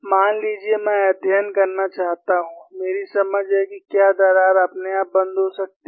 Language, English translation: Hindi, Suppose, I want to study, my understanding whether the crack can close by itself